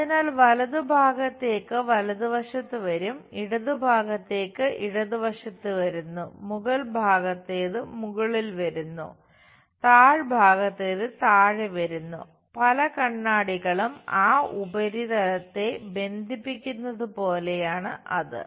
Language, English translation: Malayalam, So, the right ones will come on right side; the left one comes at left side; the top one comes at top side; the bottom one comes at bottom side is is more like many mirrors are bounding that surface